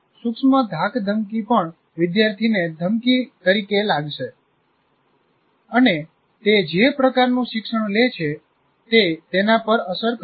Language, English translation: Gujarati, Even subtle intimidation, a student feels he will look at it as a threat and that has effect on the learning that takes place